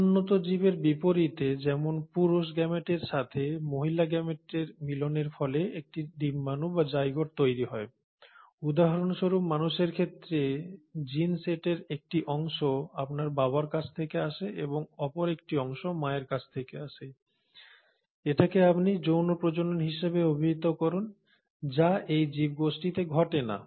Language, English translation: Bengali, Unlike higher organisms where there is fusion of the male gamete with the female gamete to form an egg or the zygote say for example in humans you have part of the gene set coming from your father and a part of the gene set is coming from the mother, that is what you call as sexual reproduction, that does not happen in these group of organisms